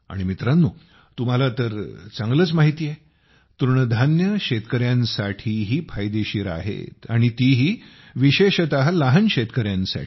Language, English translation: Marathi, And friends, you know very well, millets are also beneficial for the farmers and especially the small farmers